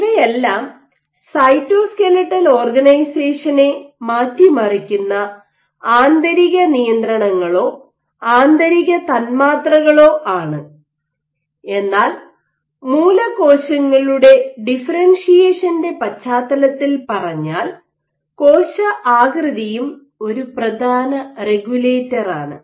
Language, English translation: Malayalam, But these are all internal controls or internal molecules which will alter cytoskeletal organization, but in the context of stem cell differentiation has said that cell shape is one of the important regulators